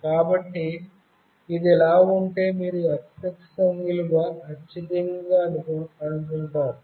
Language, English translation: Telugu, So, if it is like this, the x axis value you will receive the highest one